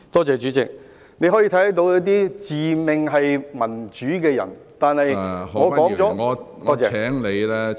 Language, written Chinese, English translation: Cantonese, 主席，你可以看見那些自命民主的人，但我說了......, Chairman you can see those who claim themselves to be democratic but I have said